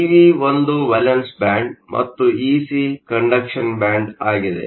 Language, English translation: Kannada, So, EV is a valence band and Ec is the conduction band